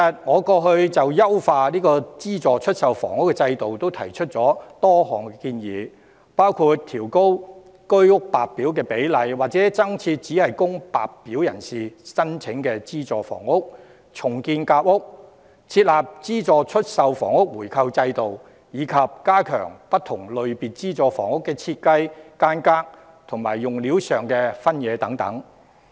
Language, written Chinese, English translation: Cantonese, 我過去曾就優化資助出售房屋制度提出多項建議，包括調高居屋白表比例或增設只供白表人士申請的資助房屋、重建夾屋，設立資助出售房屋回購制度，以及加強不同類別資助房屋的設計、間隔和用料的分野等。, I have previously put forward a number of proposals on optimizing the subsidized sale housing regime including raising the ratio of White Form applicants or providing additional subsidized housing exclusive to White Form applicants; re - launching the Sandwich Class Housing Scheme; establishing a regime for buying back subsidized sale housing; and increasing the variety of designs layouts and materials used for different types of subsidized housing etc